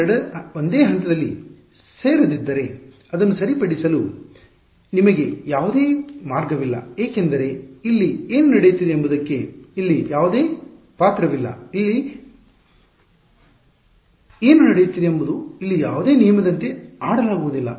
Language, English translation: Kannada, If these 2 did not meet at the same point, there is no way for you to fix it because whatever is happening here has no role to play over here, whatever is happening here as no rule to play over here